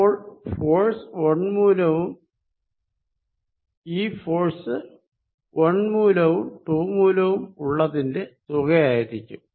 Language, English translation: Malayalam, So, this is going to be force due to 1 plus force due to 2